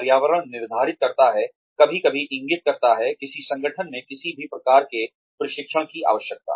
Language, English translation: Hindi, , the environment determines, sometimes indicates, the need for any kind of training, in an organization